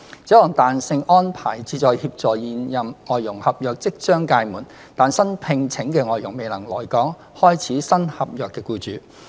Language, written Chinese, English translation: Cantonese, 這項彈性安排旨在協助現任外傭合約即將屆滿，但新聘請的外傭未能來港開始新合約的僱主。, The flexibility arrangement aims to assist those employers whose contracts with their existing FDHs are due to expire soon but that their newly - hired FDHs cannot fly in to commence the new contract